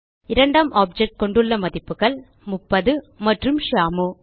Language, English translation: Tamil, The second object has the values 30 and Shyamu